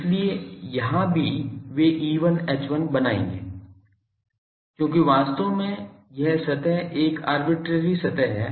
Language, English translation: Hindi, So, here also they will be producing E1 H1, because this is actually this surface is an arbitrary surface